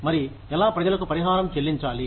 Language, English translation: Telugu, And, how people are to be compensated